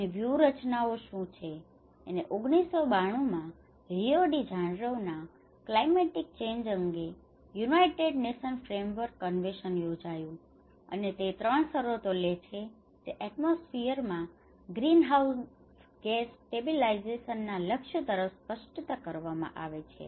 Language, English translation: Gujarati, And what are the strategies and in 1992, in Rio de Janeiro,United Nations Framework Convention on Climate Change has been held, and it takes 3 conditions which has been made explicit towards the goal of greenhouse gas stabilization in the atmosphere